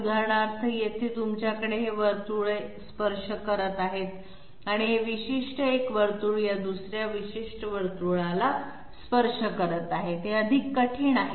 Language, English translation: Marathi, For example, here you are having this circle is touching and this particular circle is this particular circle is touching this particular circle, it is much more difficult